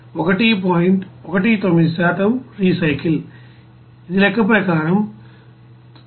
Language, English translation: Telugu, 19% of recycle that will be 3